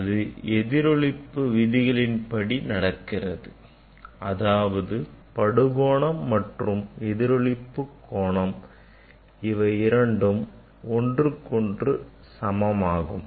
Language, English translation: Tamil, It follows the laws of reflection; that means, angle of incidence will be equal to the angle of reflection